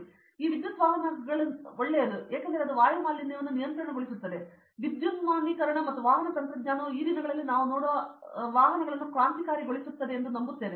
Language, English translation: Kannada, So, I believe that vehicular technology I mean this electric vehicles itself, electrification and the vehicular technology will revolutionize the way vehicles I mean we see these days